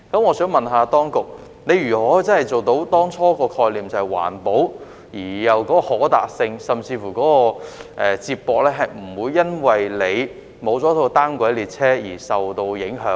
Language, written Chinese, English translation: Cantonese, 我想問當局如何能夠真正落實當初的概念，即是環保而暢達，地區之間的接駁亦不會由於沒有單軌列車而受到影響？, My question is how can the authorities actually materialize the initial concept ie . being environmentally friendly and highly accessible while not affecting the connectivity between the two districts in the absence of a monorail system?